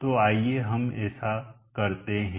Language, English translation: Hindi, So let us do this